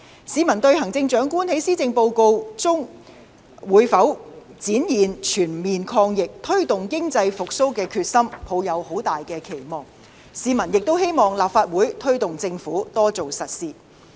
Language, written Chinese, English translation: Cantonese, 市民對行政長官在施政報告中會否展現全面抗疫、推動經濟復蘇的決心，抱有極大期望，市民亦希望立法會推動政府多做實事。, People had high hope that the Chief Executive would demonstrate determination in the Policy Address to fight the virus on all fronts and promote economic recovery and they also wished that the Legislative Council would urge the Government to do more practical work